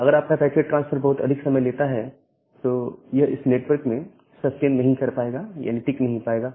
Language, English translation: Hindi, So, if your packet transfer takes too much of time, that will not sustain in the network